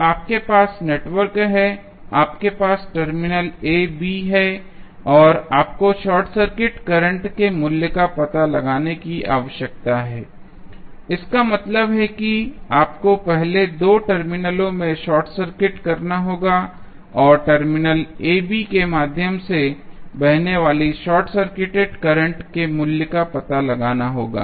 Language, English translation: Hindi, So, you have the network, you have the terminals AB now you need to find out the value of short circuit current that means you have to first short circuit both of the terminals and find out the value of current flowing through short circuited terminal AB